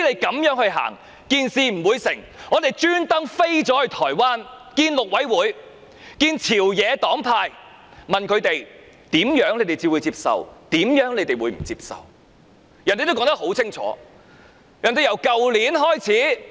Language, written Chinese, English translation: Cantonese, 因此，我們特意飛到台灣與陸委會和朝野黨派會面，問他們甚麼方案才會接受，甚麼方案不接受，他們說得很清楚。, Hence we flew to Taiwan especially to meet with members of the Mainland Affairs Council and members of the ruling and opposition parties . We asked them what approaches they would and would not accept and their answers were very specific